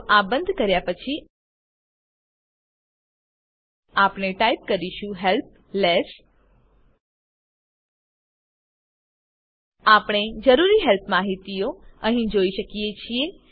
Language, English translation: Gujarati, So now after closing this we type help less We see the required help instructions here